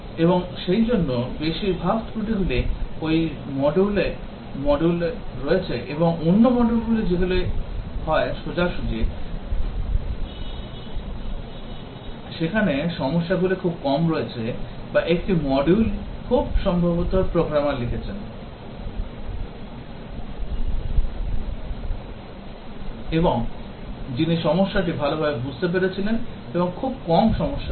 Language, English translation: Bengali, And therefore, most of the defects are there in that module the other modules which are either straightforward, there are less number of problems or may be one module is written by very experienced programmer who understood the problem very well, and there were very few problems